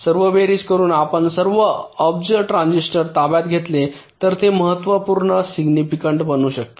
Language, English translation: Marathi, so the sum total, if you take over all billions transistors, it can become significant right